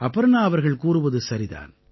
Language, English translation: Tamil, Aparna ji is right too